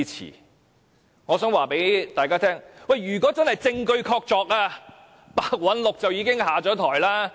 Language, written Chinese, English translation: Cantonese, 可是，我想告訴大家，如果真的證據確鑿，白韞六已經下台。, However I would like to tell fellow colleagues that if we do have irrefutable evidence to prove our case Simon PEH has already stepped down